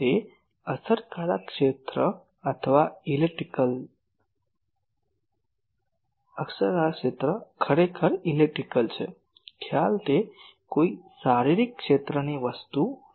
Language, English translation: Gujarati, That effective area is actually an electrical, concept it is not a physical area thing